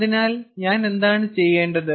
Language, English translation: Malayalam, ok, so what do i have to do